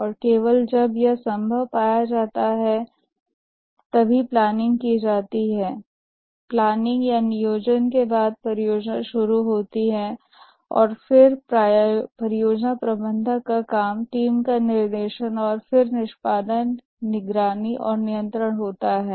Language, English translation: Hindi, And only when it is found feasible, the planning is undertaken and after the planning the project starts off and then the work of the project manager is directing the team and then education monitoring and control